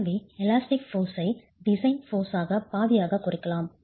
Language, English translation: Tamil, So you take the elastic design force and divide the elastic design force by R